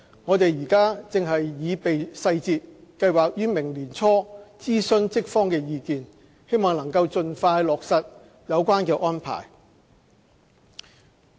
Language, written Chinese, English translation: Cantonese, 我們正擬備細節，計劃於明年年初諮詢職方意見，希望能盡快落實有關安排。, We are now preparing the details and we plan to consult the staff sides early next year . We hope the arrangement can be implemented as soon as practicable